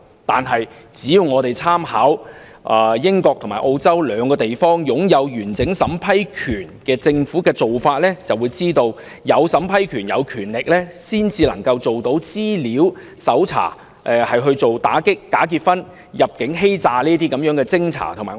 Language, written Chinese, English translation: Cantonese, 但是，只要參考英國和澳洲這兩個擁有完整審批權的政府的做法，便知道只有擁有審批權，才能做到資料搜查，以偵查和打擊假結婚和入境欺詐等個案。, However if we draw reference from the practices adopted in the United Kingdom and Australia whose governments enjoy a complete power to vet and approve entry for immigration we will understand that only by exercising such a power can data research be made to investigate into and combat cases involving bogus marriages and immigration frauds